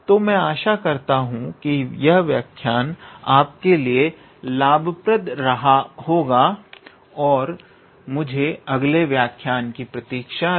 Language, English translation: Hindi, So, I hope this lecture was fruitful to you and I look forward to your next lecture